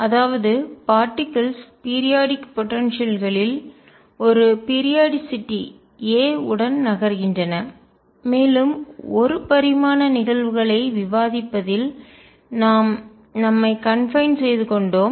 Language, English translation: Tamil, That means, the particles are moving in a potential which is periodic with periodicity a and we have confined ourselves to discussing one dimensional cases